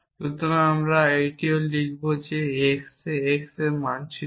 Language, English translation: Bengali, So, we would also write saying that x maps to x A